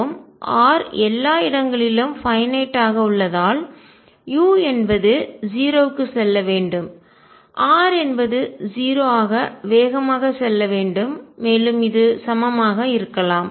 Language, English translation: Tamil, And since R is finite everywhere u should go to 0 as r tends to 0 faster than and maybe equal to also